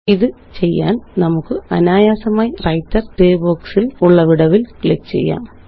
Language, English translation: Malayalam, To do this, we can simply click between the gap of these two matrices in the Writer Gray box